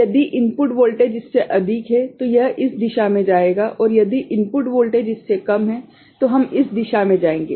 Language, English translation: Hindi, If the input voltage is more than that will go this direction and if the input voltage is less than that we shall go in this direction